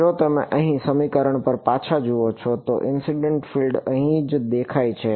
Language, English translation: Gujarati, If you look back over here at are equation, the incident field appeared over here right